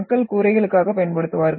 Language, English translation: Tamil, And which people have used for roofing purposes